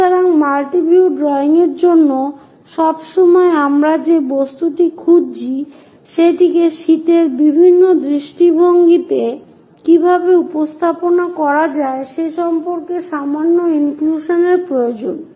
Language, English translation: Bengali, So, multi view drawings always requires slight inclusion about the object what we are looking, how to represent that into different views on the sheet